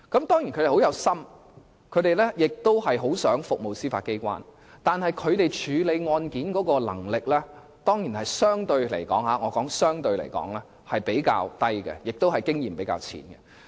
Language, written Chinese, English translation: Cantonese, 當然，他們都是很有心及很想服務司法機構，但他們處理案件的能力卻可能相對較低，而經驗也較淺。, They are certainly committed to serving the Judiciary but may be relatively inexperienced and less capable in handling cases